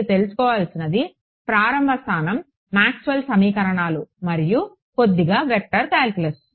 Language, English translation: Telugu, Starting point all you need to know is Maxwell’s equations little bit of vector calculus